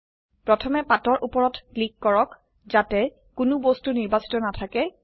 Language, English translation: Assamese, First click on the page, so that none of the objects are selected